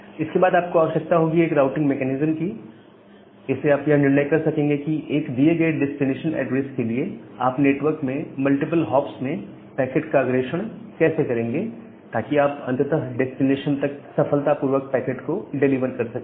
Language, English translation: Hindi, And then you need to have one routing mechanism, to decide that given a destination address, how will you forward the packet over the network, over multiple hops so that you can be able to successfully deliver the packet to the final destination